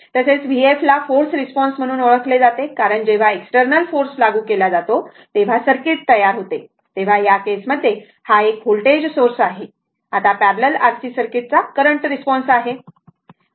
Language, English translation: Marathi, So, v f is known as the forced response because it is produced by the circuit when the external force is applied that is in this case, it is a voltage source, right now, that current response of parallel RC circuit